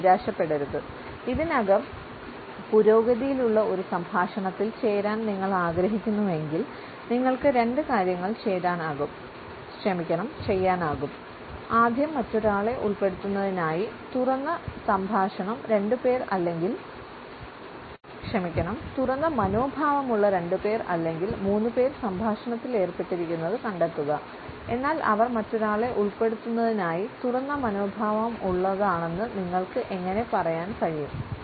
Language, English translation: Malayalam, But do not despair; if you want to join a conversation already in progress there are two things you can do; first find a twosome or threesome that looks open to including another person, how can you tell they are open